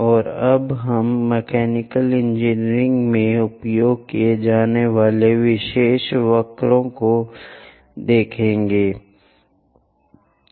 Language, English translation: Hindi, And now we are going to look at special curves used in mechanical engineering